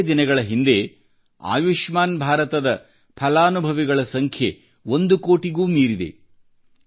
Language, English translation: Kannada, A few days ago, the number of beneficiaries of 'Ayushman Bharat' scheme crossed over one crore